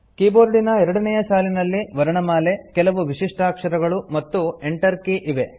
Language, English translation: Kannada, The second line of the keyboard comprises alphabets few special characters, and the Enter key